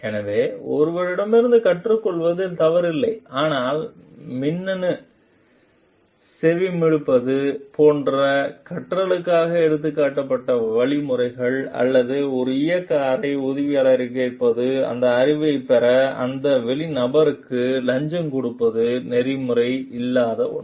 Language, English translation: Tamil, So, it is nothing wrong in learning from someone, but the means taken for learning like electronic like electronic eavesdropping, or asking an operating room assistant maybe bribing that out person also to get that knowledge is something which is not ethical